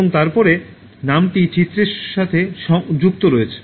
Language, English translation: Bengali, And then associate the name with the image